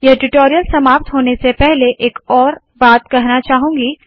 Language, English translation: Hindi, There is one other thing that I want to tell before completing this tutorial